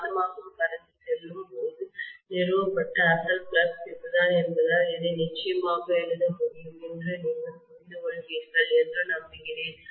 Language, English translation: Tamil, I hope you understand I can definitely write this as because this was the original flux established when magnetising current itself was flowing